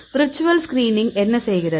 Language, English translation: Tamil, So, what the virtual screen does